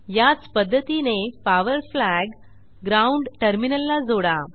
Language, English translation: Marathi, Place this power flag near the ground terminal